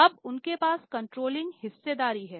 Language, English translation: Hindi, Now, they have the controlling stake